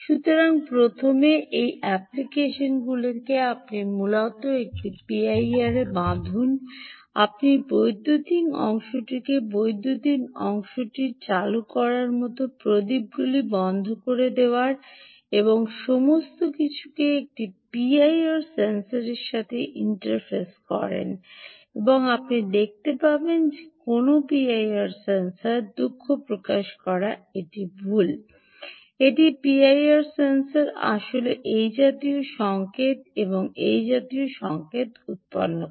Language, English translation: Bengali, so first, these applications, you essentially tie a p i r, you essentially interface at you interface the electron, the electrical part, like turning on, turning off lamps, and all that to a p i r sensor and you will see that a p i r sensor generates sorry, this is incorrect